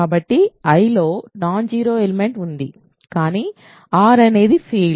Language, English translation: Telugu, So, there is a non zero element in I, but since R is a field